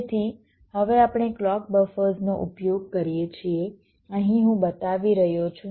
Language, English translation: Gujarati, ok, so now another thing: we use the clock buffers here i am showing